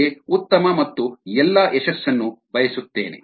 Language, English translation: Kannada, wish you the very best and all success